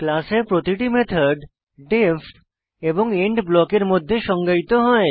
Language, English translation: Bengali, Each method in a class is defined within the def and end block